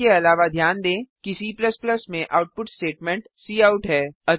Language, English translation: Hindi, Also, note that the output statement in C++ is cout